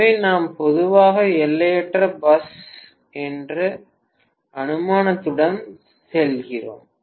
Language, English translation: Tamil, So we normally go with the assumption of infinite bus, right